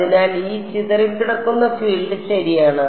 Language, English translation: Malayalam, So, exactly this scattered field is outgoing right